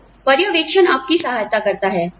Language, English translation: Hindi, So, the supervision helps you